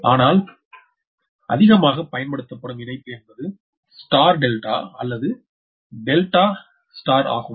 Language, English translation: Tamil, but the most common connection is the star delta or delta star right